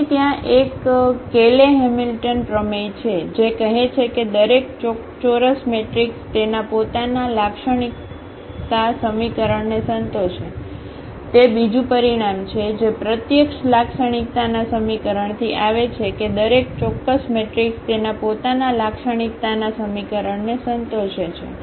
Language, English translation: Gujarati, So, there is a Cayley Hamilton theorem which says that every square matrix satisfy its own characteristic equation, that is another result which directly coming from the characteristic equation that every square matrix satisfies its own characteristic equation